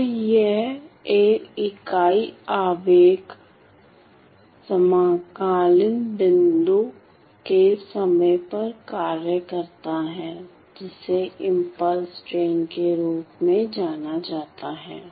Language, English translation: Hindi, So, this is a unit impulse function at equidistant point of time known as the impulse train ok